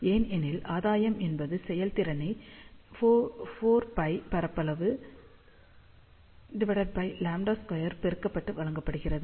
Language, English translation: Tamil, Why, because gain is given by efficiency multiplied by 4 pi area divided by lambda square